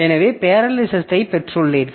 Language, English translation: Tamil, So, that way we have got parallelism also